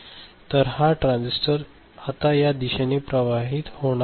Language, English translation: Marathi, So, this transistor now cannot conduct in this direction ok